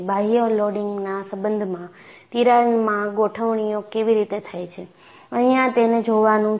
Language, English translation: Gujarati, And look at how the configuration in the crack, in relation to the external loading